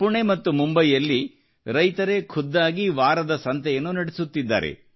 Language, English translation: Kannada, Farmers in Pune and Mumbai are themselves running weekly markets